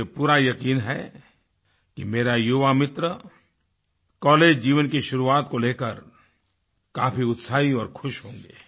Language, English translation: Hindi, I firmly believe that my young friends must be enthusiastic & happy on the commencement of their college life